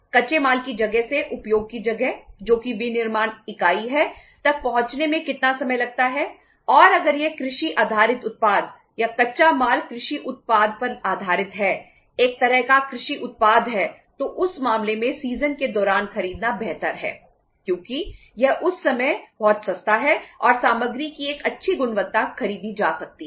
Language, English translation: Hindi, How much time it takes from the place of raw material to the place of use that is the manufacturing unit and if it agricultural based product or the raw material is say based upon the agriculture uh product is a kind of agricultural product in that case it is better to buy during seasons because it is very cheap at that time and a good quality of the material can be purchased